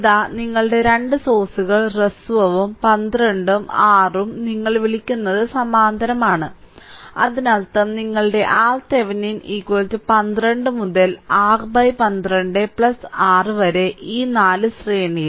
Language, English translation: Malayalam, So, let me clear it so, here this is your two sources shorted 12 and 6 are your what you call are in parallel; that means, your R Thevenin is equal to 12 into 6 by 12 plus 6 right plus this 4 ohm with that in series